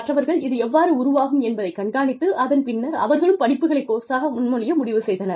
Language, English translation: Tamil, Others, waited to see, how this would develop, and then, they decided to propose courses